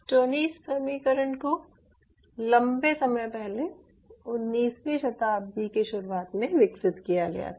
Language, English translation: Hindi, stoneys equation was developed long time back summer, early nineties, ninetieth century